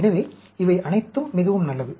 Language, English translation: Tamil, So, all these are very good